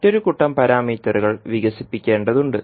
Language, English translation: Malayalam, There is a need for developing another set of parameters